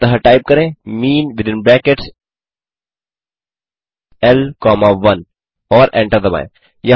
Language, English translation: Hindi, So type mean within brackets L comma 1 and hit Enter